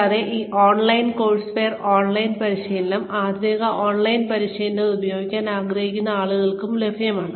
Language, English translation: Malayalam, And, this online courseware, online training, authentic online training, is also available for people, who want to use it